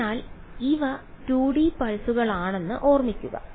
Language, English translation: Malayalam, So, remember that these are 2D pulses